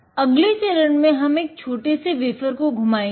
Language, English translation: Hindi, Next, we are going to spin a small wafer